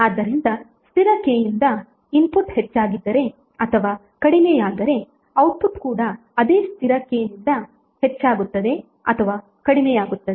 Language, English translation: Kannada, So if input is increased or decreased by constant K then output will also be increase or decrease by the same constant K